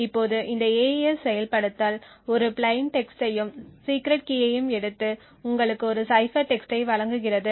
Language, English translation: Tamil, Now this AES implementation takes a plain text and the secret key and gives you a cipher text